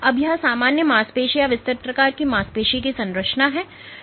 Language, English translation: Hindi, Now this is the structure of normal muscle or wide type muscle